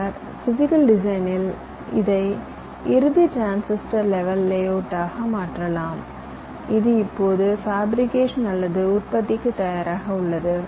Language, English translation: Tamil, then you go into something called physical design, where you translate these into the final transistor level layout which is now ready for fabrication or manufacturing